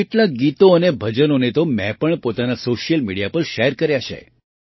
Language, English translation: Gujarati, I have also shared some songs and bhajans on my social media